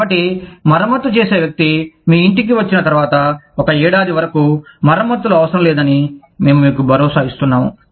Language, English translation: Telugu, So, we assure you that, once the repair person comes to your house, you will not need repairs, for the next one year